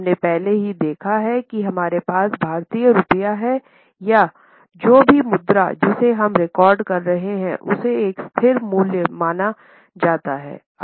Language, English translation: Hindi, We have already seen it like the way we have Indian rupee or whatever currency we are recording it is considered to be of a stable value